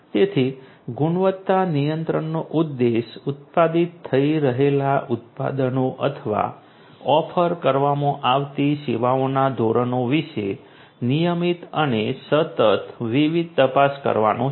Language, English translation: Gujarati, So, the objective in quality control is to routinely and consistently make different checks about the standard of the products that are being manufactured or the services that are being offered